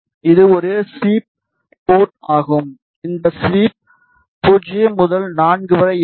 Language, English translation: Tamil, This is a sweep port the V sweep ranges from 0 to 4